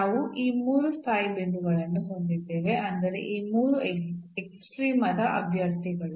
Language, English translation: Kannada, So, we have these 3 stationary points I mean these 3 candidates for extrema